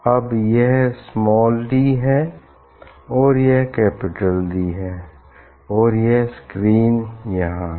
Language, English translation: Hindi, Now, this is d small d, and this is capital D, this screen is put